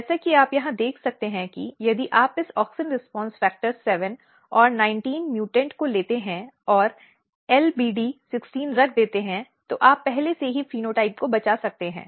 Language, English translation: Hindi, As you can see here that if you take this auxin response factor 7 and 19 mutant and put LBD 16 you can already rescue the phenotype